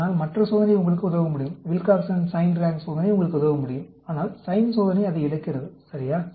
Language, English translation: Tamil, But, the other test can help you out of that; the Wilcoxon Signed Rank Test can help you out of that; but the sign test loses it, ok